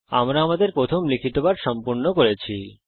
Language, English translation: Bengali, We have completed our first typing lesson